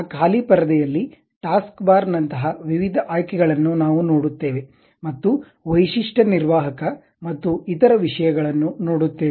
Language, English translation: Kannada, In that blank screen, we see variety of options like taskbar, and something like feature feature manager and the other things